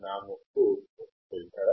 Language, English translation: Telugu, is my nose a filter